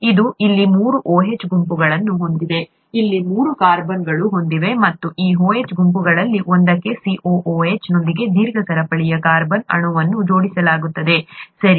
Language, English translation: Kannada, It has three OH groups here, three carbons here, and to one of these OH groups, a long chain carbon molecule with a COOH gets attached, okay